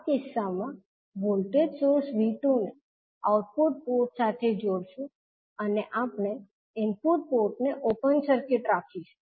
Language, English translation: Gujarati, In this case will connect a voltage source V2 to the output port and we will keep the input port as open circuit